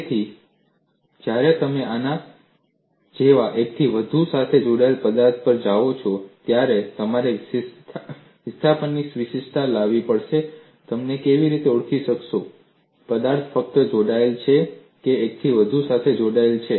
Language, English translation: Gujarati, So, when you go to a multiply connected object like this, you have to bring in uniqueness of displacement and how do you identify, whether the object is simply connected or multiply connected